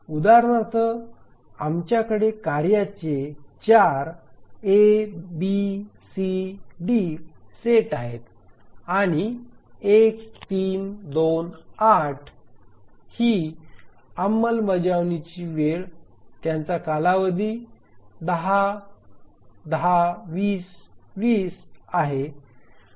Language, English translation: Marathi, We have 4 task sets A, B, C, D with execution time of 1, 3, 2, 8 and their periods are 10, 10, 20, 20